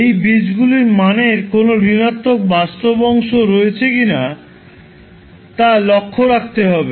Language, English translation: Bengali, You have to observe whether the value of those roots are having any negative real part or not